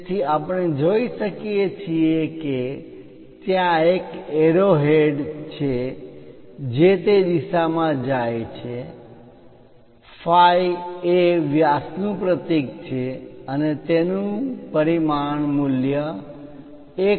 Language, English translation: Gujarati, So, we can see there is a arrow head going in that direction, phi represents diameter symbol and 1